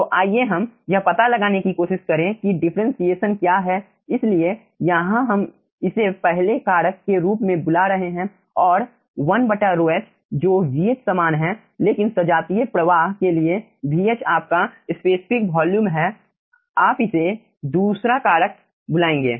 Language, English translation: Hindi, so here we will be calling this 1 as first factor and 1 by rho h, which is nothing but vh, small vh, your specific volume for the homogeneous flow, you will be calling a second factor